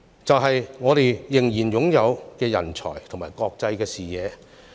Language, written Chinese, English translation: Cantonese, 便是我們仍然擁有的人才和國際視野。, They are the talents and international outlook that we still have